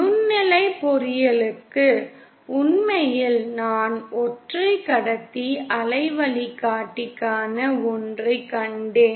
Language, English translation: Tamil, In fact for microwave engineering as we saw for single conductor waveguide